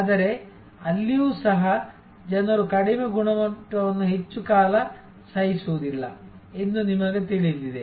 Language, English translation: Kannada, But, even there you know people will not tolerate low quality for long